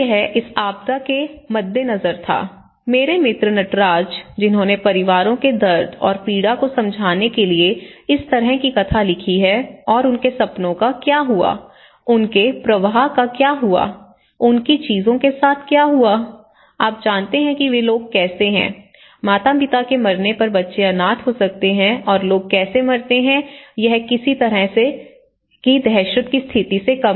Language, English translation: Hindi, So, this was on the wake of this disaster, one of my friend Natraj, he has written this kind of narrative of explain the pain and agony of the families and what happens to their dreams, what happened to their flows, what happened to their belongings, you know how they are, how the people, the children can become orphans when the parents die and you know how people die, what kind of panic situation it was, that is the